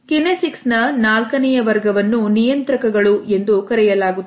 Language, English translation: Kannada, The fourth category of kinesics is known as a Regulators